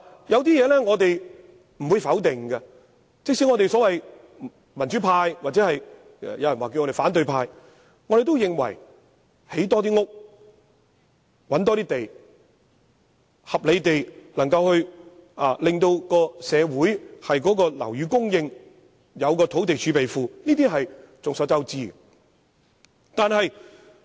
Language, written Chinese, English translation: Cantonese, 有些事情我們不會否定，即使我們這些民主派或別人稱為反對派的人士，也會認為多建房屋，尋覓更多土地，合理地保持社會的樓宇供應，並設立土地儲備庫，是眾所周知應當實行的措施。, There are things that we would not dispute . We democrats or the opposition camp in the words of some do likewise agree that the construction of more housing units the identification of more land sites the maintenance of a reasonable supply of flats and the establishment of a land reserve are measures deemed by all as necessary